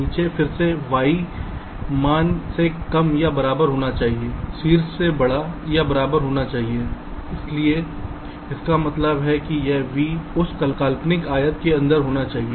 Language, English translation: Hindi, top should be greater than equal to that means this v should be inside that imaginary rectangle